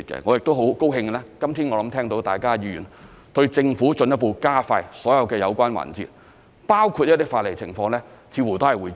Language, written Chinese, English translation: Cantonese, 我亦很高興，今天聽到議員對政府進一步加快所有有關環節，包括一些法例情況，似乎也會支持。, I am also pleased to hear today that Members appear to be supportive of the Government in further expediting all relevant efforts including the review of legislation